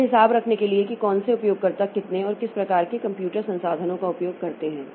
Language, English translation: Hindi, Then accounting to keep track of which users use how much and what kinds of computer resources